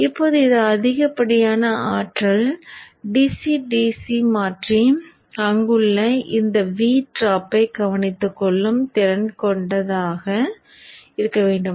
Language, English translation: Tamil, Now this is the excess power that the DCDC converter should be capable of handling to take care of this V drop there